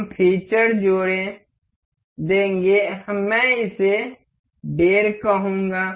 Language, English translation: Hindi, We will added the feature, I will make it say 1